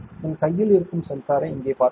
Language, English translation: Tamil, You can see the sensor in my hand here